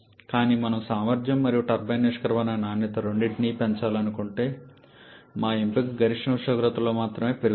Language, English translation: Telugu, But if we want to increase both the efficiency and the turbine exit quality our option is only increase in maximum temperature